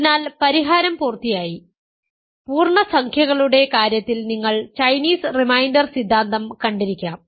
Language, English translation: Malayalam, So, so solution is complete; you may have seen Chinese reminder theorem in the case of integers